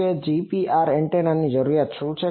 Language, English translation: Gujarati, So, what is the requirement of a GPR antenna